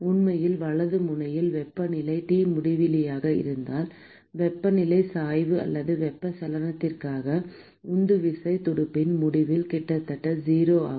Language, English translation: Tamil, In fact, if the temperature at the right end is T infinity, then the temperature gradient or driving force for convection is almost 0 at the end of the fin